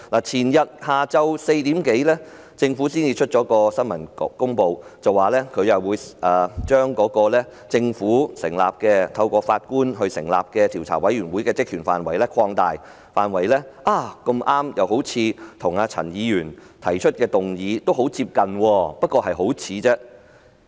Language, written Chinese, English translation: Cantonese, 前天下午4時多，政府發出新聞公報，表示會把由政府委任並由法官擔任主席的獨立調查委員會的職權範圍擴大，恰巧與陳議員提出的議案內容很相近，但只是很相似而已。, At around 4col00 pm the day before yesterday the Government issued a press release to announce an expansion of the terms of reference of the independent Commission of Inquiry it appointed and chaired by a judge . It happened to be very similar―only similar―to the contents of the motion proposed by Ms CHAN